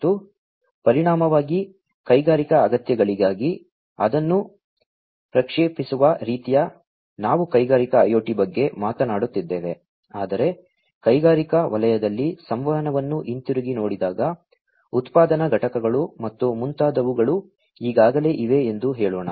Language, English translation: Kannada, And, consequently, you know, sort of projecting it for industrial requirements we are talking about Industrial IoT, but looking back communication in the industrial sector, let us say, manufacturing plants, and so on and so forth has already been there